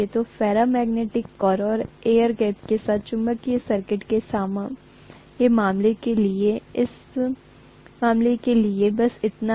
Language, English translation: Hindi, So, so much so for the case of magnetic circuit with ferromagnetic core and air gap